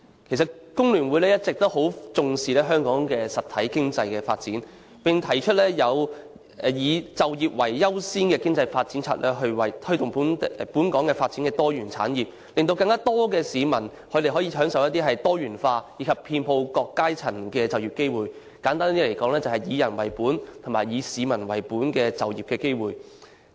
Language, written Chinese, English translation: Cantonese, 其實，香港工會聯合會一直以來都非常重視香港的實體經濟發展，並提出以"就業為優先的經濟發展策略"，推動本港發展多元產業，令更多市民可以獲得更多元化、遍及各階層的就業機會，簡單而言，就是"以人為本"及"以市民為本"的就業機會。, In fact The Hong Kong Federation of Trade Unions has always attached great importance to the development of the real economy in Hong Kong and we have proposed an economic development strategy with employment as the priority to promote the development of diversified industries in Hong Kong so as to provide more people with more diversified employment opportunities at all levels . Simply put these are people - oriented employment opportunities